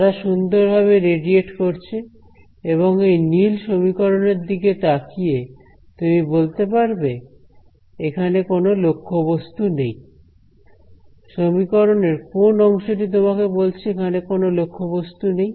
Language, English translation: Bengali, They are nicely radiating and looking at this blue equation over here, you can tell that there is no object because which part of the equation tells you that there is no object